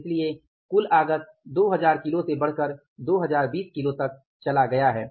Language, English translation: Hindi, That is why the total input has gone up from the 2,000 kages to 2